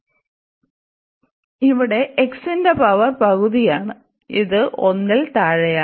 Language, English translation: Malayalam, So, here the power of x power is half which is less than 1